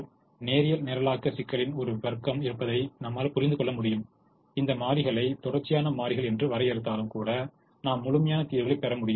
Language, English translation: Tamil, we are not going to go deeper into that idea, but we will also understand that there are a class of linear programming problems where, even if we define these variables as continuous variables, we will end up getting integer solutions